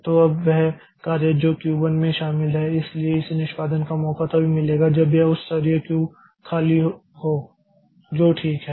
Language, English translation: Hindi, So, now the job that is in Q1 so this will get a chance for execution only when this higher level Q is empty